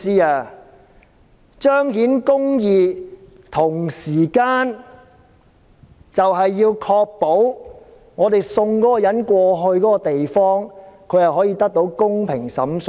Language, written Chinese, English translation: Cantonese, 我們彰顯公義的同時，要確保將疑犯送到有關地方後，他可以得到公平審訊。, While we endeavour to enable justice to be done we must also ensure that the fugitive offender will receive a fair trial after being extradited to that place